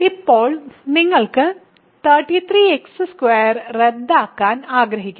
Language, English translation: Malayalam, Now, you want to cancel 33 x squared